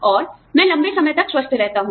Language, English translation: Hindi, And, I stay healthier for a longer time